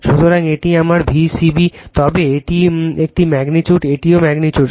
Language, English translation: Bengali, So, this is my V c b, but this is a magnitude this is also magnitude